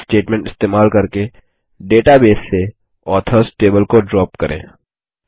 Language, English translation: Hindi, Drop the Authors table from the database, by using the DROP statement